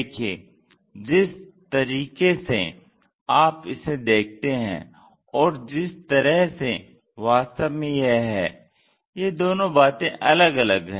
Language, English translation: Hindi, See, the way what you perceive and the way how it looks like these are different